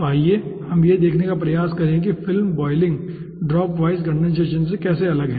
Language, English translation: Hindi, so let us try to see that how film boiling is ah distinguished from the ah, ah, dropwise condensation